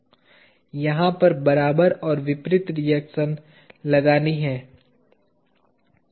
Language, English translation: Hindi, An equal and opposite reaction has to be inserted over here